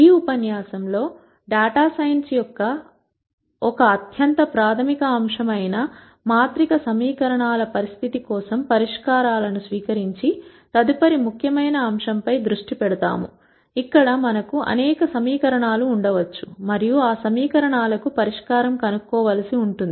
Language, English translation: Telugu, In this lecture we will focus on the next important topic of extracting solutions for matrix equations, which is the most fundamental aspect of data science, where we might have several equations and we might have to nd solutions to those equations